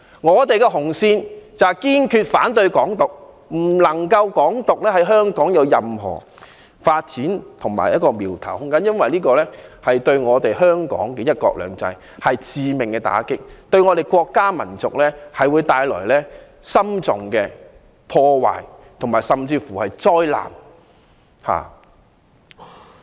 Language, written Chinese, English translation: Cantonese, 我們的紅線是堅決反對"港獨"，不能讓"港獨"在香港有任何苗頭和發展空間，因為這對香港的"一國兩制"是致命打擊，對我們的國家民族會帶來嚴重破壞、災難。, Our bottom line is to firmly oppose Hong Kong independence . We must nip Hong Kong independence in the bud and suppress any room for its development in Hong Kong for it will deal a fatal blow to one country two systems of Hong Kong bringing severe damage and calamities to our country and nation